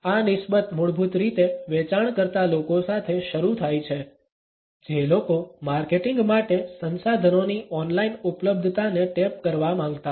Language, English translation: Gujarati, These concerns basically is started with the sales people, people who wanted to tap the online availability of resources for marketing